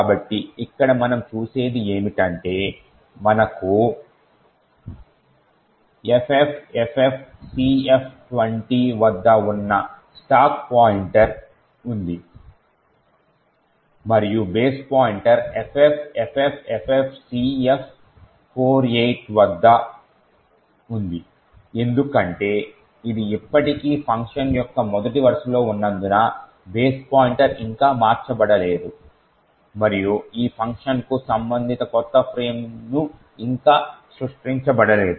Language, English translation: Telugu, So, what we see here is that we have a stack pointer which is at FFFFCF20, ok, and the base pointer is at FFFFCF48 now since this is still at the first line of function the base pointer has not been changed as yet and the new frame corresponding to this function has not been created as yet